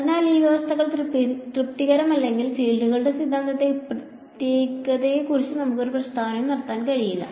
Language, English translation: Malayalam, So, if these conditions are not satisfied then we cannot make any statement about the uniqueness of the theorem of the fields that is all there is ok